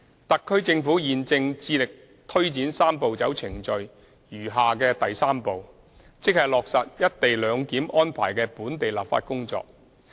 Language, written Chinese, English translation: Cantonese, 特區政府現正致力推展"三步走"程序餘下的第三步，即落實"一地兩檢"安排的本地立法工作。, The HKSAR Government is now forging ahead with the remaining third step of the Three - step Process namely the enactment of local legislation to implement the co - location arrangement